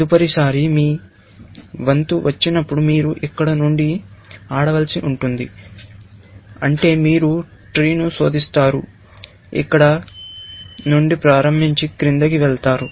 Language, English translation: Telugu, Next time, when your turn comes, you will have to play from here, which means, you will be searching the tree, starting from here, and going down, essentially